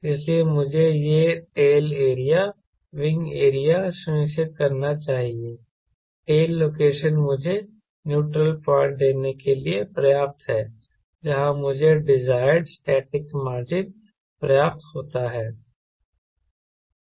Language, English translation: Hindi, so i must ensure this tail area, wing area, tail location is good enough to give me the neutral point where i get static margin of around desired static margin